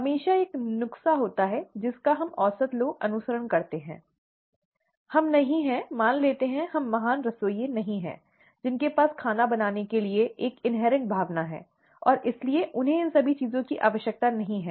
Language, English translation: Hindi, There is always a recipe that we average people follow, we are not, let us assume that we are not great chefs who have an, an inherent feel for what they cook, and therefore they do not need all these things